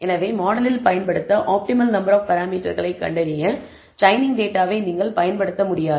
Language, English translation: Tamil, Therefore, you cannot use the training data set in order to find out the best number of, optimal number of, parameters to use in the model